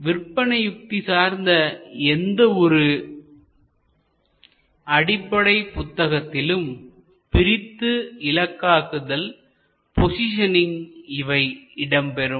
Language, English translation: Tamil, Fundamentally in any marketing book you can also look at segmentation, targeting and positioning